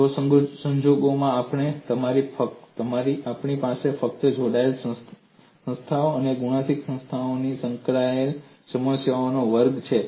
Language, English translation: Gujarati, Even in that case, we have segregated class of problems involving simply connected bodies and multiply connected bodies